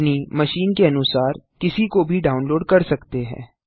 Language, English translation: Hindi, You can download any one depending on which is applicable to your machine